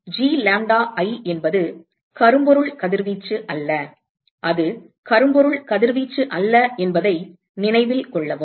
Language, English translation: Tamil, So, note that G lambda i is not blackbody radiation, it is not a blackbody radiation